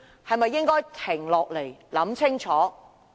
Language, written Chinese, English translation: Cantonese, 是否應該停下來，想清楚？, Should we pause and think carefully?